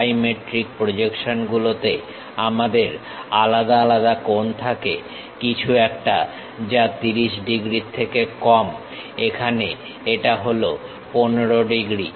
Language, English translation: Bengali, In dimetric projections, we have different angles something like lower than that 30 degrees, here it is 15 degrees